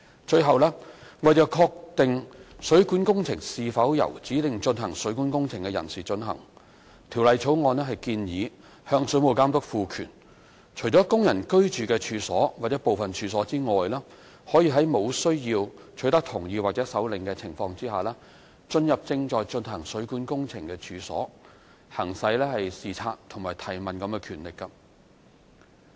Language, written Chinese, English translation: Cantonese, 最後，為確定水管工程是否由指定進行水管工程的人士進行，《條例草案》建議向水務監督賦權，除供人居住的處所或部分處所外，可在無須取得同意或手令的情況下，進入正進行水管工程的處所，行使視察及提問等權力。, Lastly in order to ascertain whether plumbing works are being carried out by persons designated for carrying out the plumbing works the Bill proposes to empower the Water Authority to enter premises except premises or part of the premises that is used for human habitation without consent or warrant where the plumbing works are being carried out and to exercise the authority to inspect and question